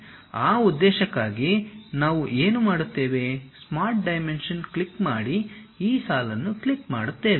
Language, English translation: Kannada, For that purpose what we do is, click Smart Dimension, click this line